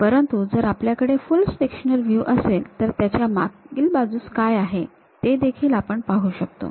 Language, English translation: Marathi, But, when we have this full sectional view, we can really see what is there at background also